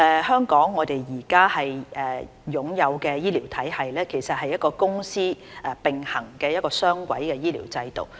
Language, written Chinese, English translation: Cantonese, 香港現在擁有的醫療體系其實是一個公私並行的雙軌醫療制度。, The existing healthcare system in Hong Kong actually runs on a dual - track basis comprising both the public and private sectors